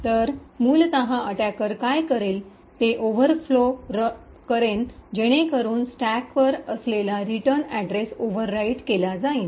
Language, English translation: Marathi, So, essentially what the attacker would do was overflow the buffer so that the return address which is present on the stack is over written